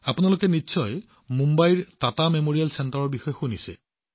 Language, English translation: Assamese, All of you must have heard about the Tata Memorial center in Mumbai